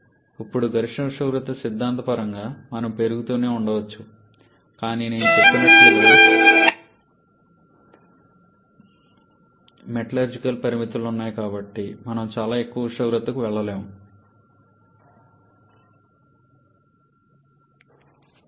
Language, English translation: Telugu, Now maximum temperature, theoretically we can keep on increasing but as I have mentioned there are metallurgical limitations and so we may not be able to go to very high temperature